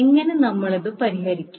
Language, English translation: Malayalam, So, how we solve